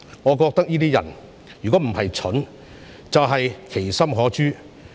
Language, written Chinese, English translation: Cantonese, 我覺得這些人若非愚蠢，就是其心可誅。, In my view these people are either stupid or wicked